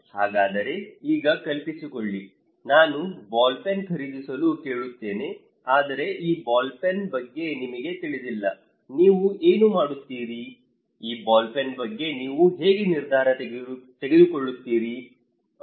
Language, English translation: Kannada, Now, imagine then I ask you to buy a ball pen okay, I ask you to buy a ball pen but you do not know about this ball pen, what do you do, how do you make a decision about this ball pen, is it difficult; it is very difficult to make a decision about this ball pen because I really do not know